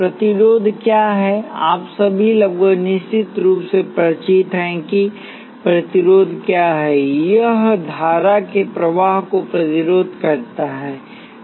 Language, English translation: Hindi, What is the resistor, you are all almost certainly familiar with what the resistor is, it resists the flow of current